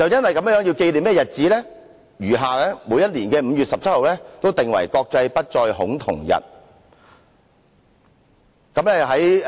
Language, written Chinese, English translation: Cantonese, 為紀念這個日子，往後每年的5月17日均定為"國際不再恐同日"。, In commemoration of that day 17 May is recognized as the International Day against Homophobia Transphobia and Biphobia annually since then